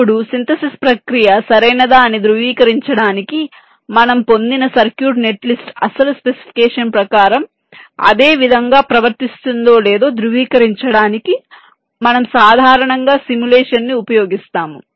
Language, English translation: Telugu, then, in order to verify whether the synthesis process is correct, we usually use simulation to verify that, whether the circuit net list that we have obtained behaves in the same way as for the original specification